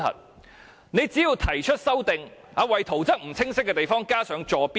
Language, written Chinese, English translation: Cantonese, 政府只要提出修正案，為圖則裏不清晰的地方加上坐標即可。, Only if the Government proposes the amendments and marks the coordinates in the unclear parts of the drawings things will be fine